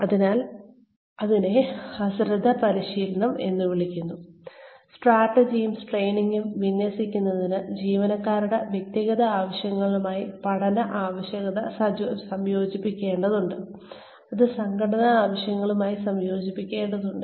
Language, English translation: Malayalam, So, that is called negligent training In order to align, strategy and training, learning needs to be combined with, individual needs of employees, which needs to be combined with organizational needs, which needs to be combined with appropriate training